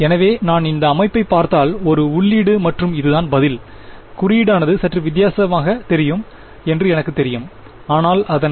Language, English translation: Tamil, So, if I look at this system, so, this is the input and this is the response, I know that the notation looks a little different ok, but its